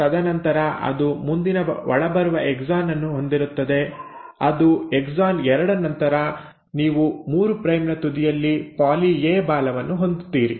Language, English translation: Kannada, And then it will have the next exon coming in, which is exon 2 and then you end up having a poly A tail at the 3 prime end